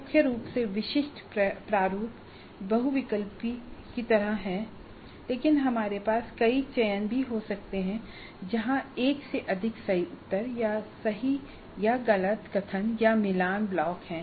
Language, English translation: Hindi, Primarily the typical format is like multiple choice but we could also have multiple selections where there is more than one right answer or true or false statements or matching blocks